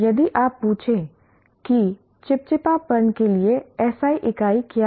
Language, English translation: Hindi, If you ask what is the SI unit for viscosity